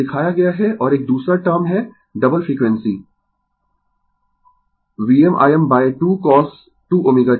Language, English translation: Hindi, It is shown and another term is double frequency minus V m I m by 2 cos 2 omega t right